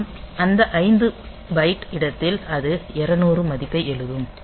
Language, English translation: Tamil, So, this will be defining this 5 byte space and in that 5 byte space it will be writing the value 200